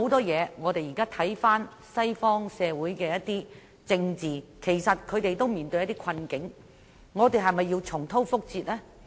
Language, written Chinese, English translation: Cantonese, 現在西方社會的政治均面對困境，我們是否要重蹈覆轍呢？, At present the Western societies are facing political difficulties; do we have to repeat the mistakes they made?